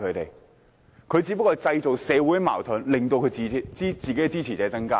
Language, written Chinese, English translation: Cantonese, 反對派只不過是製造社會矛盾，冀令支持者增加。, The opposition camp creates social dissension to increase the number of its supporters